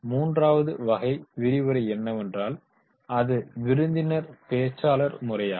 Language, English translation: Tamil, The third type of the lecture is that is the guest speakers